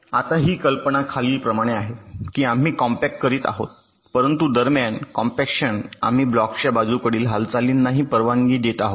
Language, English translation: Marathi, now, the idea is as follows: that we are doing compaction, but during compaction we are also allowing lateral movement of the blocks